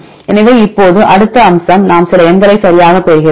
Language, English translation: Tamil, So, now the next aspect is we get some numbers right